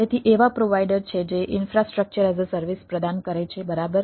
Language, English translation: Gujarati, so there are provider who provides infrastructure as a service right